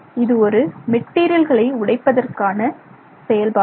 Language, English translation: Tamil, It's an operation that you can use on for breaking down material